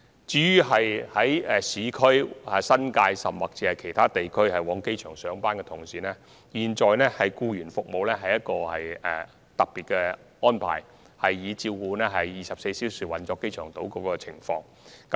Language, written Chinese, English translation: Cantonese, 至於由市區、新界，甚或其他地區前往機場上班的人士，現有的僱員服務已屬特別安排，以配合機場島24小時的運作。, The existing employees services are already a special arrangement for employees commuting from urban districts the New Territories or even other regions to the airport and the purpose is to dovetail with the 24 - hour operation of the airport island